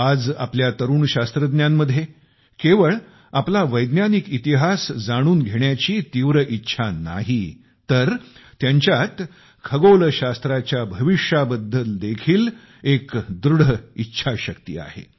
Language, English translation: Marathi, Today, our young scientists not only display a great desire to know their scientific history, but also are resolute in fashioning astronomy's future